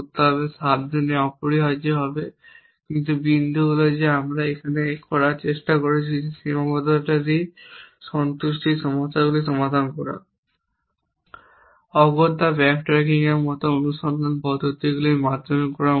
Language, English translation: Bengali, So, we have to express that carefully essentially, but the point is that we a try to make here is that solving constraint satisfaction problems not necessarily have to be done through a search method like backtracking